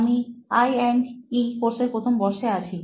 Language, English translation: Bengali, I am in first year of I&E course